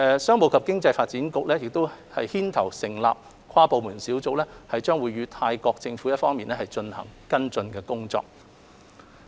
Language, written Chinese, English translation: Cantonese, 商務及經濟發展局牽頭成立的跨部門小組將會與泰國政府一方跟進有關工作。, An inter - departmental team established and led by the Commerce and Economic Development Bureau will follow up with the Government of Thailand